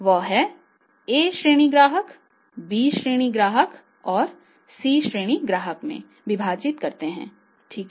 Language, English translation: Hindi, That is a category A customers, B category customers and the C category customers right